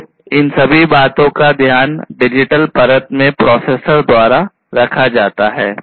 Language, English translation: Hindi, So, all of these things are taken care of in the digital layer by the processor